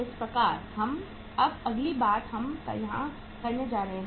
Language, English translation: Hindi, So that is the now the next thing we are going to do here